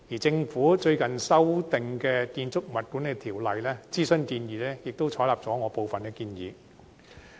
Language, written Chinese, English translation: Cantonese, 政府最近的建議修訂《建築物管理條例》諮詢文件，也採納了我部分的建議。, The consultation paper recently published by the Government on the proposed amendment of the Building Management Ordinance has also taken on board some of my proposals